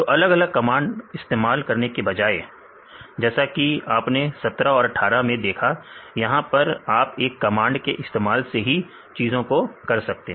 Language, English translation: Hindi, So, instead of using two commands; this 17 and 18; so in 1 command; you will get all these things